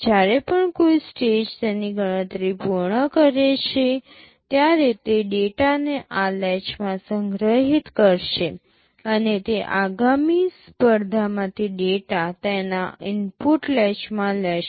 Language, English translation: Gujarati, Whenever a stage completes its calculation, it will store the data into this latch, and it will take the data from the next competition into its input latch